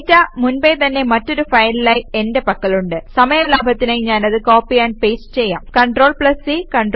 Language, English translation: Malayalam, I already have the data in another file for the sake of time constrain let me copy Paste the value, CTRL+C CTRL+V